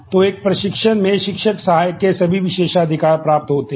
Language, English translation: Hindi, So, in an instructor inherits all privileges of teaching assistant